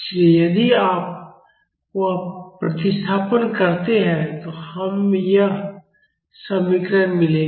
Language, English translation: Hindi, So, if you do that substitution we will get this expression